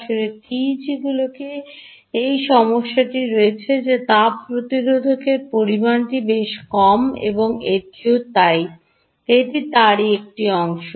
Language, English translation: Bengali, in fact, tegs really have this problem that the thermal resistance is pretty low and its also so